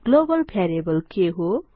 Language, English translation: Nepali, What is a Global variable